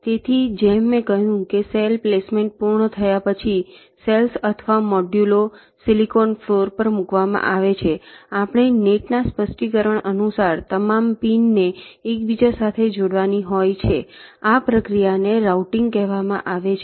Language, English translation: Gujarati, so, as i have said that after cell placement is completed, the cells or the modules are placed on the silicon floor, we have to inter connect all the pins according to the specification of the nets